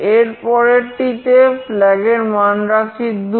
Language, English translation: Bengali, In the next case, the flag is 2